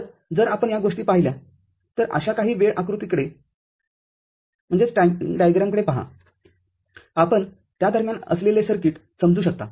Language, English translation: Marathi, So, if you look at have a look at some such timing diagram, you can understand the circuit involved in between